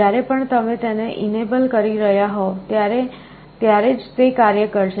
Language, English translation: Gujarati, Whenever you are enabling it only then it will be working